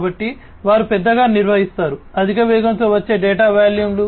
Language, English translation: Telugu, So, they handle large volumes of data coming in high speeds, right